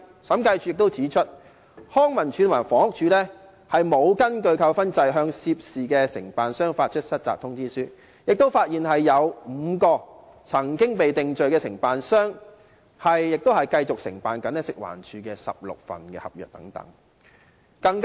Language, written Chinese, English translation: Cantonese, 審計署亦指出，康文署和房屋署並無根據扣分制度向涉事承辦商發出失責通知書，亦發現有5名曾經被定罪的承辦商繼續承辦食環署的16份合約。, The Audit Commission has also pointed out that LCSD and the Housing Department did not issue any default notice to the contractors involved in accordance with the demerit point system . It was also found that five contractors which had been convicted before continued to take up 16 contracts from FEHD